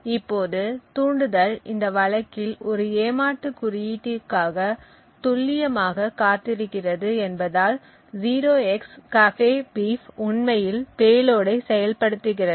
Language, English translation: Tamil, Now since the trigger is waiting precisely for one cheat code in this case 0xcCAFEBEEF to actually activate the payload